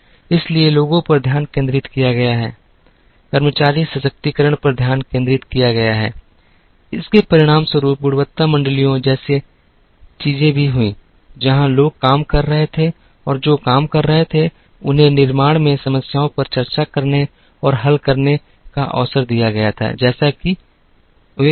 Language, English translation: Hindi, So, there is focus on people, focus on employee empowerment, it also resulted in things like quality circles,where people who were operating and who were doing the job, were given opportunity to discuss and solve problems in manufacturing, as they happened